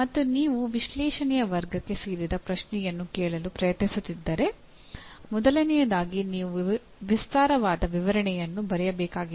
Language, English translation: Kannada, And if you are trying ask a question/an item or a question that belongs to the category of analyze, first thing is you have to write elaborate description